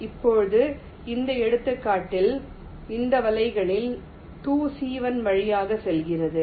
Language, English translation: Tamil, now, in this example, two of this nets are passing through c one